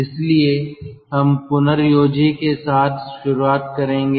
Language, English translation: Hindi, so we will start with regenerator now